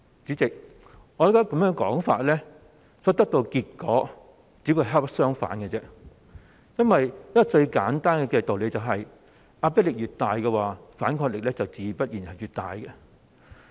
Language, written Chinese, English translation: Cantonese, 主席，我認為根據這說法所得到的結果，其實只會恰恰相反，因為一個最簡單的道理是，壓迫力越大、反抗力自然會越大。, President in my view to do what this argument suggests will only produce the very opposite result . The logic is a very simple one the greater the oppression the stronger the resistance